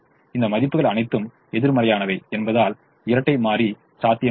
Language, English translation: Tamil, the dual is feasible because all these values are negative